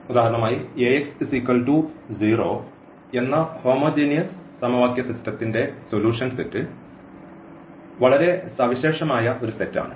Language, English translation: Malayalam, So, the solution set of solution set of this homogeneous system of equation Ax is equal to 0